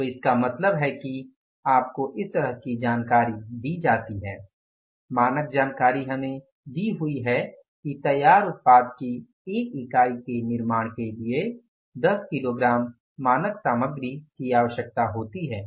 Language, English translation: Hindi, So it means you are given the information like that is the standard information is given to us that is the 10 kgis of the standard material is required to manufacture the one unit of the finished product